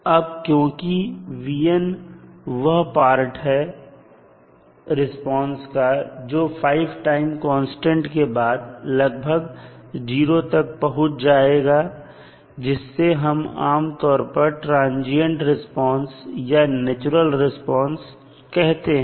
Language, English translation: Hindi, So, as vn is part of the response which decays to almost 0 after 5 time constants it is generally termed as transient response or the natural response